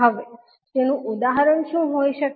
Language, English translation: Gujarati, Now, what can be the example